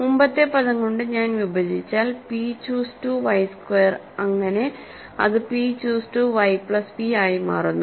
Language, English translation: Malayalam, If I divide by the previous term is p choose 2 y squared, so that becomes p choose to y plus p